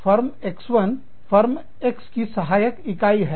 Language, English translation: Hindi, Firm X1, is a subsidiary of, Firm X